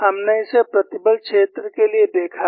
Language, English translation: Hindi, We have seen it for stress field